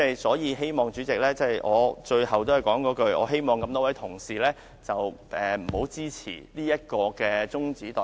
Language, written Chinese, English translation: Cantonese, 所以，主席，我最後仍是那句話，我希望各位同事不要支持中止待續議案，多謝主席。, Hence President finally I still want to say the same thing . I hope that our colleagues will not support the adjournment motion . Thank you President